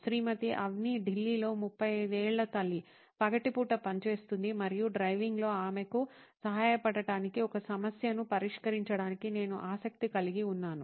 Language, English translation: Telugu, Mrs Avni, 35 year old mom in Delhi works during the day and in the part where I am interested in to solve a problem to help her out in mom driving to work